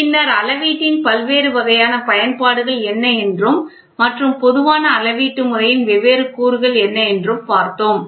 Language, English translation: Tamil, Then what are the different types of applications of measurement and what are the different elements of a generalized measuring system